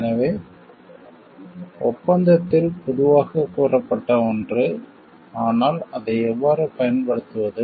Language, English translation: Tamil, So, something generally stated in the agreement, but how to apply it